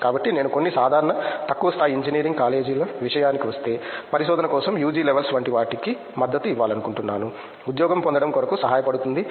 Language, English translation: Telugu, So, if I go to some normal low level engineering college I want to support like UG levels to go for research also not only get place and go for job